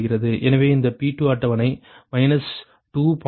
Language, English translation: Tamil, that is your p two calculated